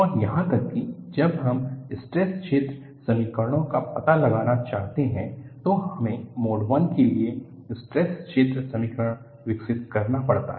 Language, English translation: Hindi, And even, when we want to find out the stress field equations, we would develop the stress field equations for mode I